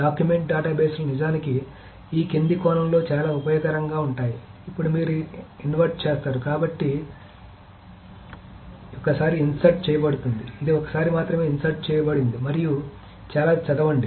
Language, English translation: Telugu, So, document databases are actually very, very useful in the following sense where you insert once, so the data is inserted once, so this is only insert once, and read many